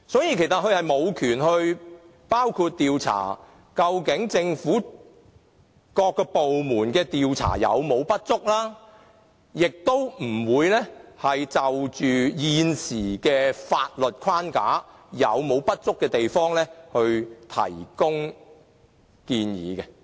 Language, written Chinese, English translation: Cantonese, 因此，公署無權調查究竟政府各個部門的調查是否不足，也不會就現時法律框架是否有不足之處提供建議。, Therefore PCPD does not have the power to inquire whether there are any inadequacies in the investigations conducted by various government departments and will not provide recommendations concerning any shortfalls in the existing legal framework